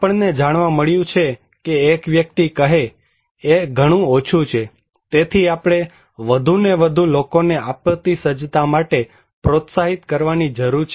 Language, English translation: Gujarati, What we found that one person say, for too less, so we need to encourage more and more people to for disaster preparedness